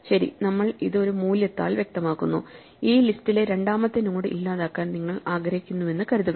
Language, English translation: Malayalam, Well we specify it by a value, but let us just suppose you want to delete say the second node in this list